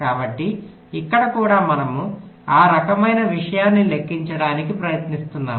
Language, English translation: Telugu, ok, so here also we are trying to calculate that kind of a thing